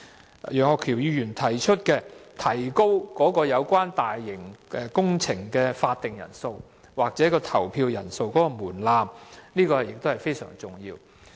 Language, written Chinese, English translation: Cantonese, 此外，楊岳橋議員建議提高通過大型工程的法定人數或投票人數的門檻，這亦是非常重要的。, Moreover Mr Alvin YEUNG proposes that the threshold for passing large - scale works projects should be raised in terms of the quorum required or the number of owners participating in the voting . This is also a very important point